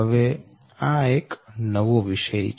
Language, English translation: Gujarati, so this is a new topic